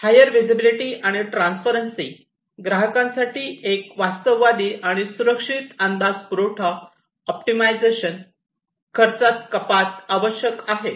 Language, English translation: Marathi, Higher visibility and transparency, a realistic, and fail safe estimate for customers, and supply optimization, and cost reduction